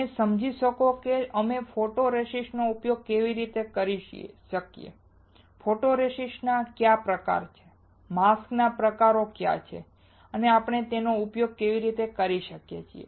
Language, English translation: Gujarati, You will understand how we can use photoresist, what are the types of photoresist, what are the types of mask and how we can use it